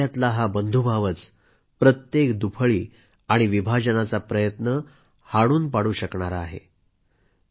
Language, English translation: Marathi, And brotherhood, should foil every separatist attempt to divide us